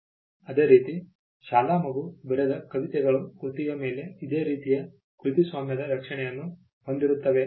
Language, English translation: Kannada, And similarly, poems written by an school kid would have similar protection copyright protection over the work